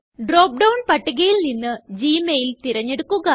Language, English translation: Malayalam, Choose the gmail link from the drop down list